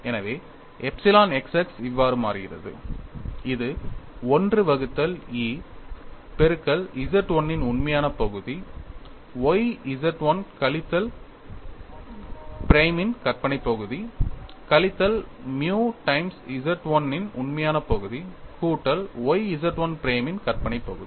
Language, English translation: Tamil, So, I get epsilon x x equal to 1 minus nu squared divided by Young's modulus multiplied by a real part of Z 1 minus y imaginary part of Z 1 prime minus nu by 1 minus nu real part of Z 1 plus y imaginary part of Z 1 prime, then I also look at what is epsilon y y, it is 1 minus nu square divided by Young's modulus into real part of Z 1 plus y imaginary part of Z 1 prime minus nu by 1 minus nu real part of Z 1 minus y imaginary part of Z 1 prime